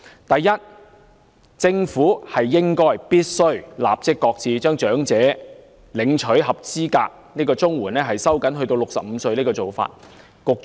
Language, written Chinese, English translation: Cantonese, 第一，政府必須立即擱置將領取長者綜援的合資格年齡收緊至65歲的做法。, First of all the Government should immediately shelve the tightening of the eligibility age for elderly CSSA to 65